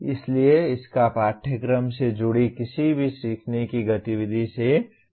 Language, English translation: Hindi, So it has nothing to do with any learning activity related to the course